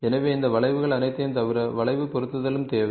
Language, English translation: Tamil, So, now, the apart from all these curves there is a need for curve fitting also to happen